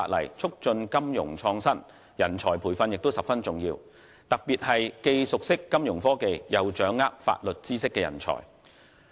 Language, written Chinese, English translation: Cantonese, 要促進金融創新，人才培訓十分重要，特別是既熟悉金融科技，又掌握法律知識的人才。, Training of talents especially talents who are well - versed in Fintech with a good grasp of legal knowledge is vitally important to fostering financial innovation